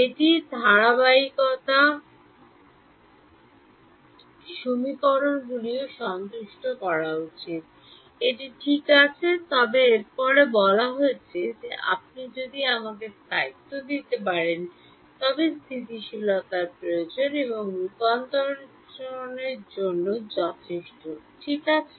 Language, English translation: Bengali, It also should satisfy the consistency equations, that is fine then its saying that if you can give me stability, stability is necessary and sufficient for convergence ok